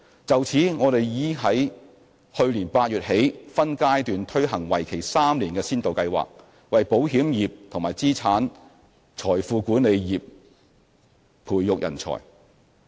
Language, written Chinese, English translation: Cantonese, 就此，我們已於去年8月起分階段推行為期3年的先導計劃，為保險業及資產財富管理業培訓人才。, In this connection a three - year pilot programme was launched by phases in August last year to provide talent training for the insurance sector and the asset and wealth management sector